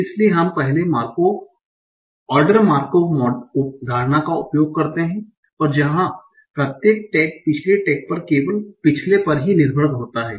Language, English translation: Hindi, Second, so we use the first order Markov assumption where each tag depended only on the previous tag